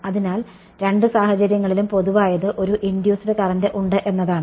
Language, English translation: Malayalam, So, in both cases what is common is that there is an induced current right